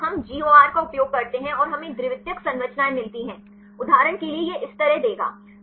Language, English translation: Hindi, Then we use GOR and we get the secondary structures; for example, it will give like this